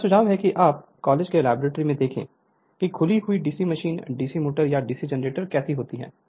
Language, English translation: Hindi, You I suggest you see in your college that open DC machine, DC motor or DC generator